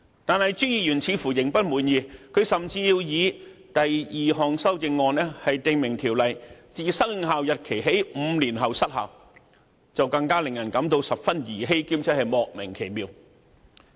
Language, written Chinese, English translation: Cantonese, 然而，朱議員似乎仍未滿意，甚至提出他的第二項修正案，訂明《條例草案》自生效日期起5年後失效，就更令人感到十分兒戲，而且莫名其妙。, However seemingly dissatisfied even with that Mr CHU proposed in his second amendment to stipulate that the enacted Ordinance will expire five years after its commencement date which sounds most trifling and baffling